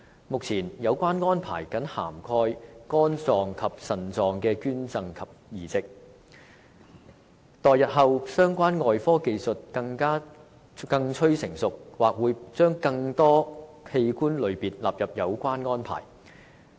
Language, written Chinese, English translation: Cantonese, 目前，有關安排僅涵蓋肝臟及腎臟的捐贈及移植，待日後相關外科技術更趨成熟，或會把更多器官類別納入有關安排。, At present such arrangements only cover donations and transplants of livers and kidneys . More types of organs may be included in such arrangements in the future when the relevant surgical techniques become more mature